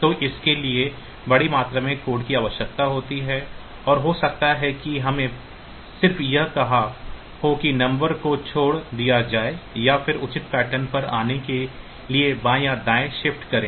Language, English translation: Hindi, So, we it requires a large amount of code and maybe we just put said the number then do left shift or right shift to come to the proper pattern and all that